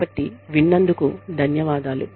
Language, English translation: Telugu, So, thank you, for listening